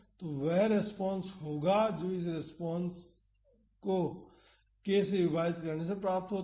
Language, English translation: Hindi, So, that would be the force this harmonic force divided by k